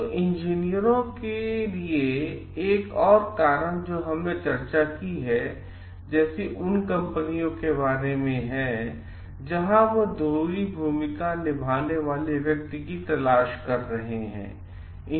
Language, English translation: Hindi, So, another reason for the engineers to so what we have discussed is about the companies like, perspective on going for a searching for person with like who can play dual roles